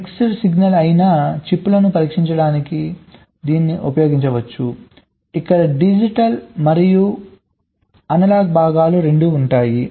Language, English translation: Telugu, this can be used to test the mix signal kind of chips where there are both digital and analog components involved